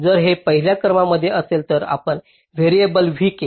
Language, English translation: Marathi, so if it is among the top one you assign a variable v k like this